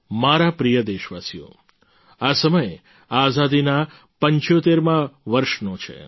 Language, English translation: Gujarati, This is the time of the 75th year of our Independence